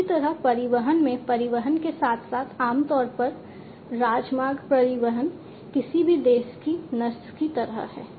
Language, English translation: Hindi, Similarly, in transportation as well transportation typically highway transportation is sort of the vein of any nation